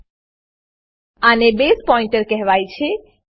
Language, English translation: Gujarati, This is called as Base pointer